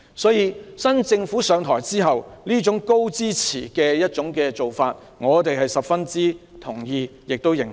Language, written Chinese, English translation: Cantonese, 所以，現屆政府上台後採取這種高支持的做法，我們十分認同。, We thus agree with this Governments approach after assuming office of giving staunch support to the education sector